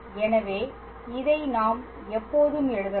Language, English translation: Tamil, So, this we can always write